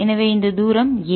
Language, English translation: Tamil, so this distance is a